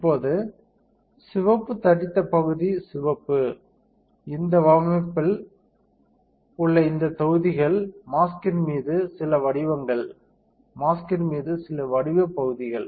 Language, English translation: Tamil, Now, the red bold area is the red this one blocks in this design are some pattern onto the mask, some pattern area onto the mask